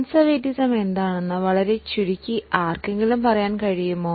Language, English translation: Malayalam, Can somebody tell what is conservatism very briefly